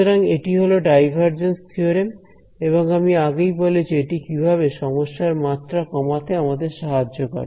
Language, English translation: Bengali, So, this is the divergence theorem and as I mentioned that it helps us to reduce the dimensionality of the problem